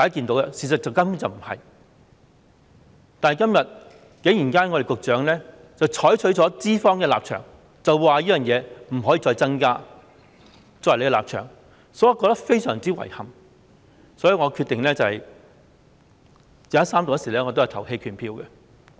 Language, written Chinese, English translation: Cantonese, 但是，局長今天竟然採取資方的立場，即侍產假天數不可以再增加，作為政府的立場，所以我覺得非常遺憾，決定在三讀時投棄權票。, That said the Secretary today has surprisingly adopted the position of employers that is the duration of paternity leave shall not be further increased . For this reason I am utterly dismayed and I have decided to abstain from voting at the Third Reading